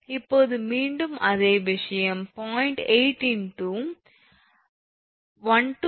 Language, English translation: Tamil, Now, again the same thing 0